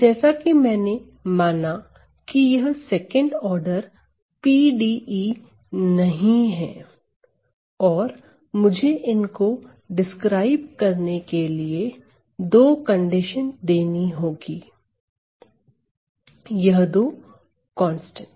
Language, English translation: Hindi, Well, if you recall, I have not this is a second order PDE and I have to provide two conditions to describe, these two constants